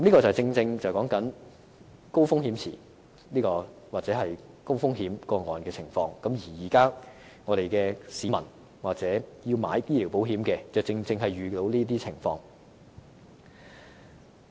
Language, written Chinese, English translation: Cantonese, 這正正說明高風險池或高風險個案的情況，而現在的市民或想購買醫療保險的人也正正遇上這些情況。, This is a recent case and it precisely explains the situation relating to the high risk pool or high - risk cases and members of the public or people who wish to take out medical insurance exactly face this situation